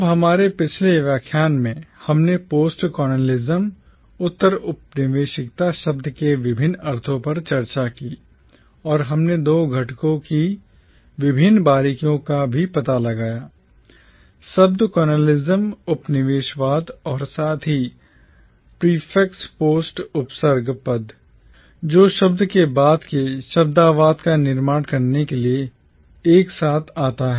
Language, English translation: Hindi, Now in our previous lecture, we discussed the various meanings of the term postcolonialism, and we also explored the various nuances of the two components the word “colonialism” as well as the prefix “post” which comes together to form the word postcolonialism